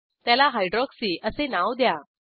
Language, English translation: Marathi, Name it as Hydroxy